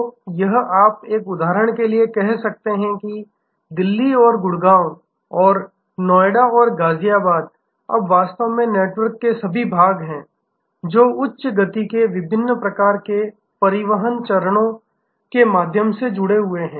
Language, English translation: Hindi, So, this you can say for example Delhi and Gurgaon and Noida and Ghaziabad are now actually all part of network themselves connected through high speed different types of transport linkages